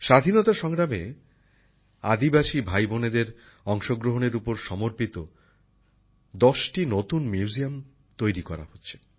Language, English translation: Bengali, Ten new museums dedicated to the contribution of tribal brothers and sisters in the freedom struggle are being set up